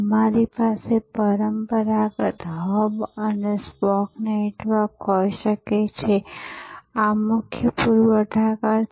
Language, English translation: Gujarati, We can have the traditional hub and spoke network, this is the core supplier